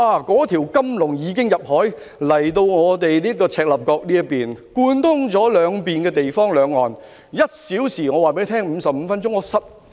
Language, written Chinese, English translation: Cantonese, 那條金龍已經游至赤鱲角，貫通兩岸，來往兩地只需1小時或55分鐘。, The golden dragon has already swam to Chek Lap Kok connecting Hong Kong with the Mainland . It only takes an hour or 55 minutes to travel between the two places